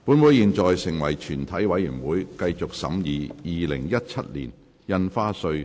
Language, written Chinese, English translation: Cantonese, 本會現在成為全體委員會，繼續審議《2017年印花稅條例草案》。, Council now becomes committee of the whole Council to continue the consideration of the Stamp Duty Amendment Bill 2017 the Bill